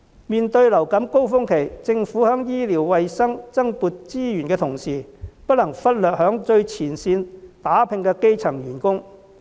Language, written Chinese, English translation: Cantonese, 面對流感高峰期，政府在醫療衞生增撥資源的同時，不能忽略在最前線打拼的基層員工。, In the face of the winter influenza peak while the Government is allocating additional funds to health and medical services it cannot overlook the junior level staff who are working very hard on the frontline